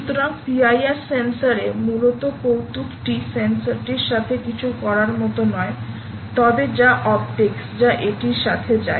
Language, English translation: Bengali, so the trick in p i r sensor, essentially is not so much to do with the sensor but really the optics that goes with it